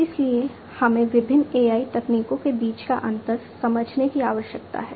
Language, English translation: Hindi, So, we need to understand the, you know, the difference between the different AI techniques